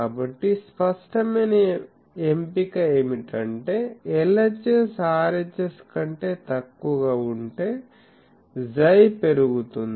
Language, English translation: Telugu, So, the obvious choice is if LHS is less than RHS increase chi